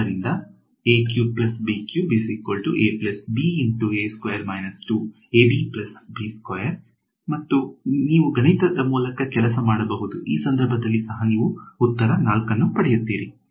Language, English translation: Kannada, And, you can work through the math you will get an answer 4 in this case also